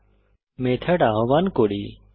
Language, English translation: Bengali, Let us call the method